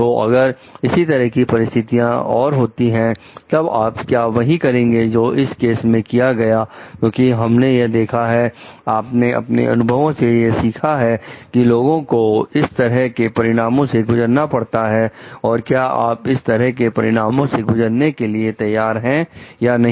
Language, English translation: Hindi, So, if similar kind of situation is happening, then would what would you do in this kind of case is will be a because we have seen, you have learned from experience like people have gone through these consequences would you be ready to face these consequences or not